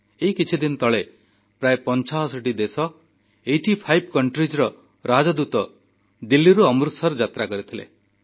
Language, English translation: Odia, Just a few days ago, Ambassadors of approximately eightyfive countries went to Amritsar from Delhi